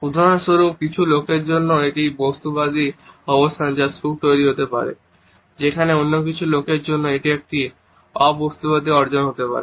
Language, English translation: Bengali, For example, for some people it is the materialistic positions which can create happiness whereas, for some other people it may be a non materialistic achievement which would generate true happiness